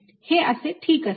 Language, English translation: Marathi, that would be fine